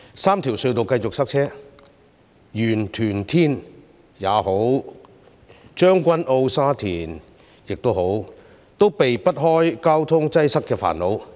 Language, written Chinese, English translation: Cantonese, 三條隧道繼續塞車，不論是元朗、屯門或天水圍，還是將軍澳或沙田，都避不開交通擠塞的煩惱。, Traffic jams continue at the three tunnels . In other districts no matter whether it is Yuen Long Tuen Mun Tin Shui Wai Tseung Kwan O or Sha Tin the problem of traffic congestion cannot be avoided